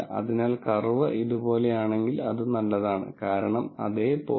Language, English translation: Malayalam, So, if the curve becomes something like this, it is better, because at the same 0